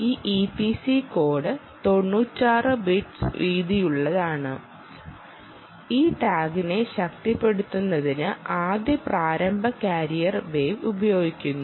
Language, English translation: Malayalam, this e p c code is ninety six bits wide and first, initial carrier wave is used to power this tag